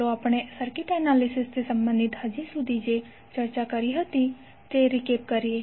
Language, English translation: Gujarati, Let us recap what we discussed till now related to circuit analysis